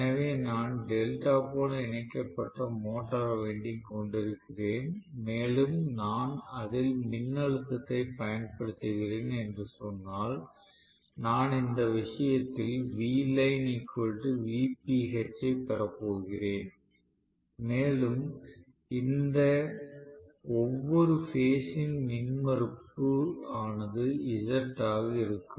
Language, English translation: Tamil, So, if I am connecting the motor winding in delta and let us say I am applying certain voltage, I am going to have in this case V line equal to V phase right and let us say the impedance of each of this phase is Z right